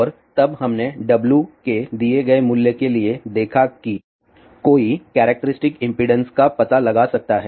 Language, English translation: Hindi, And then we looked into for a given value of w one can find the characteristic impedance